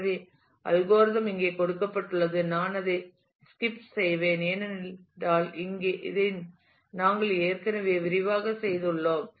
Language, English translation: Tamil, So, algorithm is given here I will skip it, because we have already done this in detail